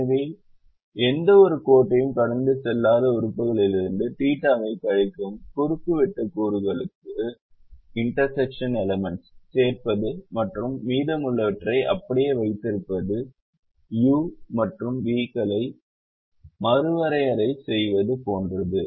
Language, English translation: Tamil, so this process of adding the theta to the intersection elements, subtracting the theta from elements where no lines is passing through and keeping the rest of them as they are, is like redefining the u's and the v's